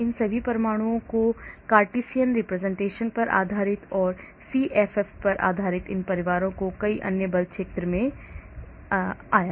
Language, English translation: Hindi, it is based on the Cartesian representation of the all the atoms, and then based on the CFF many other force field of these family consistent came into, I will show some of them